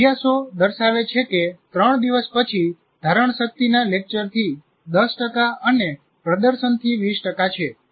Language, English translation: Gujarati, Further, study show that retention after three days is 10% from lecturing and 20% from demonstration